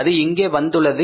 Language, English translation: Tamil, It came here, right